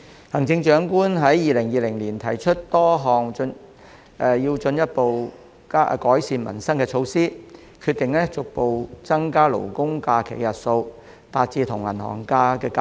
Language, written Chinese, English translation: Cantonese, 行政長官在2020年提出多項進一步改善民生的措施，包括逐步增加"勞工假"的日數，使其與"銀行假"看齊。, The Chief Executive has put forward a series of initiatives in 2020 to further improve peoples livelihood and one of which is to increase progressively the number of labour holidays so that it will be on a par with the number of bank holidays